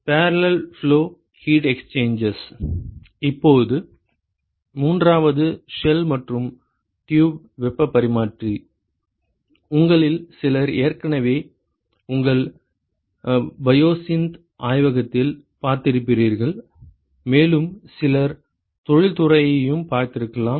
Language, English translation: Tamil, Now, the third one is the shell and tube heat exchanger, some of you have already seen in your biosynth lab and some of you may have seen industry also